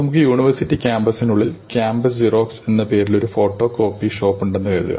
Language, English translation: Malayalam, So, suppose we have a photo copy shop, campus Xerox inside the university campus